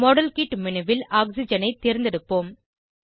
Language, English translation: Tamil, Click on the modelkit menu and check against oxygen